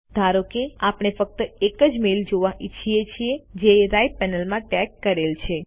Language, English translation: Gujarati, Suppose we want to view only the mails that have been tagged, in the right panel